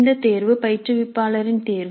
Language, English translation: Tamil, So this choice is the choice of the instructor